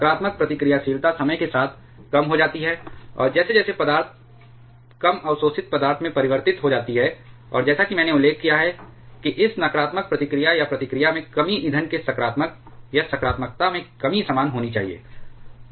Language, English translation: Hindi, The negative reactivity decreases with time, and as the material gets converted to low absorbing material, and as I mentioned this negative reactivity or reactivity reduction should be the same as this positive reactivity decrease of the fuel